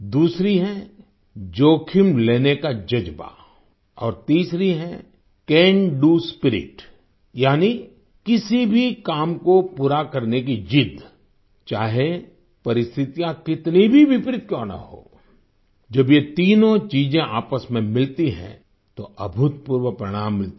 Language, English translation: Hindi, The second is the spirit of taking risks and the third is the Can Do Spirit, that is, the determination to accomplish any task, no matter how adverse the circumstances be when these three things combine, phenomenal results are produced, miracles happen